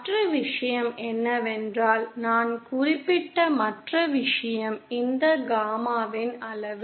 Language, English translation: Tamil, And the other thing is, the other thing that I mentioned is the magnitude of this gamma